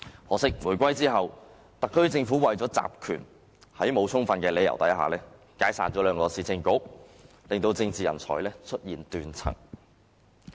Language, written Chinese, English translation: Cantonese, 可惜，回歸後，特區政府為了集權，在沒有充分理由下解散兩個市政局，令政治人才出現斷層。, Sadly after the reunification in order to centralize powers the SAR Government dissolved the two Municipal Councils without any sufficient justifications causing a break in the continuity of political talents